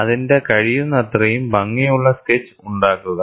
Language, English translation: Malayalam, Make a neat sketch of it, as much as possible